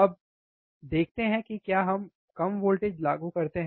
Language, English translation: Hindi, Now, let us see if we apply a less voltage